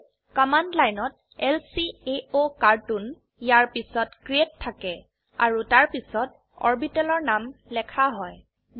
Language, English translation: Assamese, So, the command line starts with lcaocartoon, followed by create and the name of the orbital